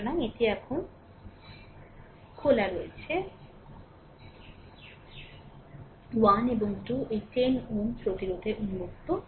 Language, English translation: Bengali, So, this as it is open that 1 and 2 this 10 ohm resistance is open